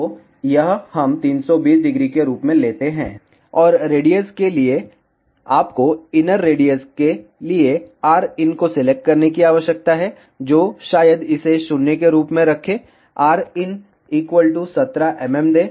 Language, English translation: Hindi, So, this let us take as 320, and for radius you need to select rin for the inner radius that maybe keep it as 0 give in as 17 mm